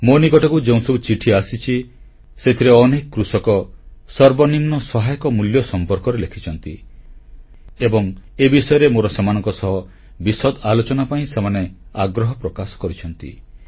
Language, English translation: Odia, I have received a number of letters in which a large number of farmers have written about MSP and they wanted that I should talk to them at length over this